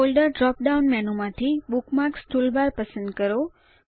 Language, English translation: Gujarati, From the Folder drop down menu, choose Bookmarks toolbar